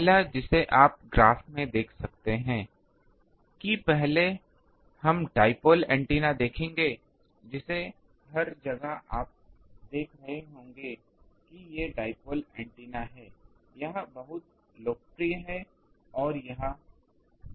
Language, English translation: Hindi, That, sorry ah the first one we will see the dipole antenna, which everywhere you will be seeing that there are these dipole antenna, it is very popular it is very useful